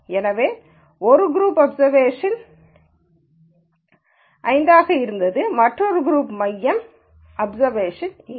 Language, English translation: Tamil, So, the one group was observation one the other group groups centre was observation 8